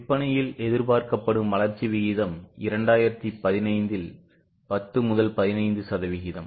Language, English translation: Tamil, The expected growth rate in 2015 is 10 15%